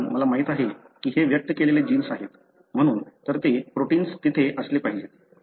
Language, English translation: Marathi, Because, I know this is the gene expressed, therefore that protein should be there